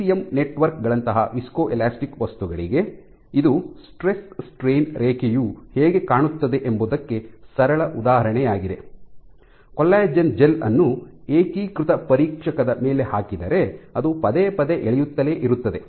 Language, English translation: Kannada, For viscoelastic materials like ECM networks, this is a simple example of how the stress strain curve would look if you make a collagen gel and put it in a uniaxial tester which kind of keeps on pulling it repeatedly